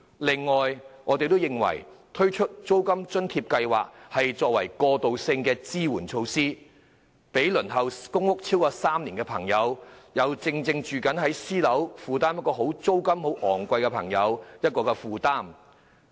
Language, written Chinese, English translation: Cantonese, 另外，我們認為應推出租金津貼計劃作為過渡性支援措施，讓輪候公屋超過3年，並正以昂貴租金租住私人樓宇的人士能減輕負擔。, Besides we maintain that a rent allowance scheme should be implemented to provide bridging assistance so that people who have waited more than three years for public housing and who are paying exorbitant private residential rents can be given relief